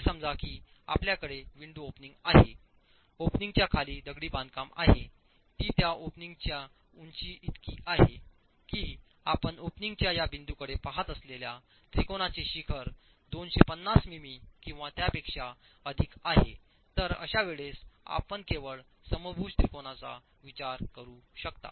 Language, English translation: Marathi, Let's say you have a window opening, you have the masonry below the opening as long as the height of that opening is such that the apex of the triangle, the apex of the equilateral triangle that you are looking at this point to the opening is 250 m m or more you can consider only the equilateral triangle